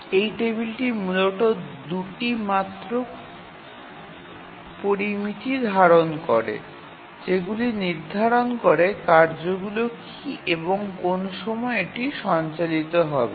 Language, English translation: Bengali, This table basically contains only two parameters in the simplest form that what are the tasks and what are the time for which it will run